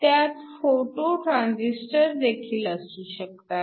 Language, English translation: Marathi, You could also have a photo transistor